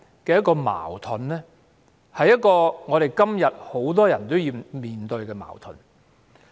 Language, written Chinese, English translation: Cantonese, 這種矛盾，今時今日亦有很多人要面對。, Many people have to face this contradiction today